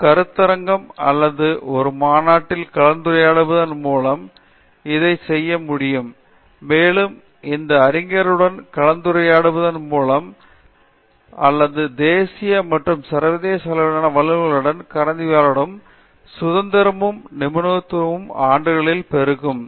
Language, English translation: Tamil, One can do it by presenting a seminar or talk in a conference at these levels and also this scholar must be able to interact or by interaction I mean, discussion and collaboration with national and international level experts, so whether they have developed that independence and expertise over the years